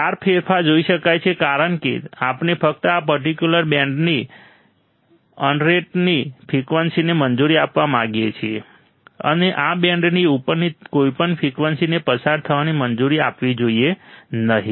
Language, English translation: Gujarati, The sharp change can be seen because we want to only allow the frequency within this particular band; and any frequency above this band, should not be allowed to pass